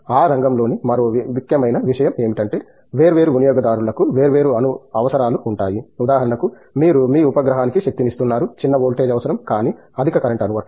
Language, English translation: Telugu, Another important thing in that area is you know, different users will have different requirements, for instance, you are powering your satellite the requirement could be small voltage, but high current application, right